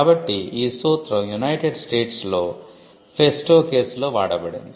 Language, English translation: Telugu, So, this principle was established in the festo case in the United States